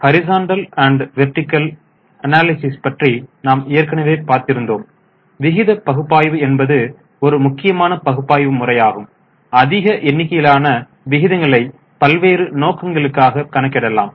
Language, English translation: Tamil, We have also discussed that we can do horizontal as well as vertical analysis but the most important type of analysis is ratio analysis and large number of ratios can be calculated serving variety of purposes